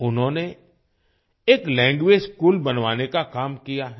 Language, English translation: Hindi, He has undertaken the task of setting up a language school